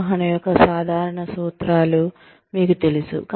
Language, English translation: Telugu, You know, the general principles of management